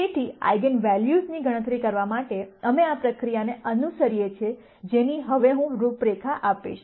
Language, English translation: Gujarati, So, to compute the eigenvalues we follow this procedure that I am going to outline now